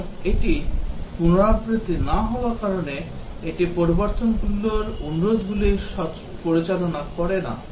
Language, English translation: Bengali, And because it is not iterative it does not handle the change requests